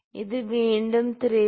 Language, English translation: Malayalam, This is actually 3